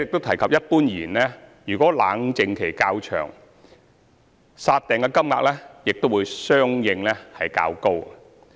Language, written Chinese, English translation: Cantonese, 此外，一般而言，如果冷靜期較長，"殺訂"金額亦會相應較高。, Moreover generally speaking if the cooling - off period is longer the amount of deposit to be forfeited will also be higher accordingly